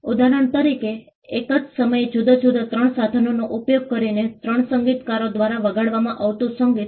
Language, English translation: Gujarati, For example, the music that is played by three musicians using different 3 different instruments at the same time